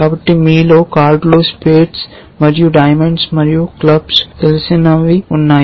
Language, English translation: Telugu, So, for those of you who are familiar with cards spades and diamonds and clubs and so on